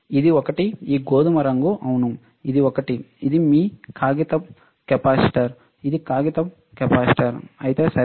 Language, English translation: Telugu, This one, this brown one, yes, this one, this is your paper capacitor it is a paper capacitor, all right